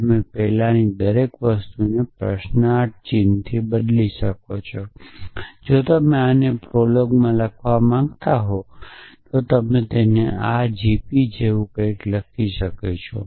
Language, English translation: Gujarati, So, you can just replace everything with a question mark before that if you were to write this in prolog you would write it as something like this g p